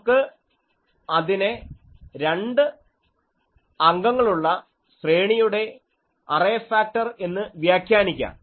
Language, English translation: Malayalam, We can say, we can interpret it as the array factor for two element array